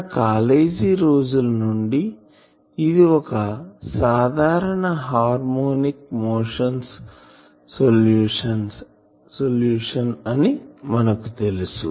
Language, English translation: Telugu, So, all of us from our college days knows these solution this is simple harmonic motions solution